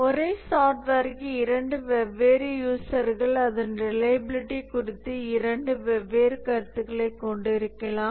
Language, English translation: Tamil, And therefore for the same software, two different users can have two different opinion about its reliability